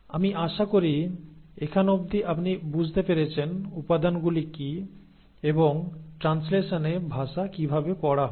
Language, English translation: Bengali, So I hope till here you have understood what are the ingredients and how the language is read in translation